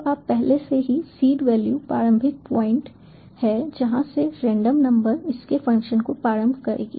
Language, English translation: Hindi, so you already the seed value is the starting point from which the random number will initialize its function